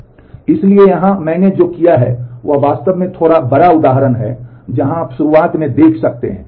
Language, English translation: Hindi, So, here what I have done is I have actually taken a little bigger example, where you can see that at the beginning here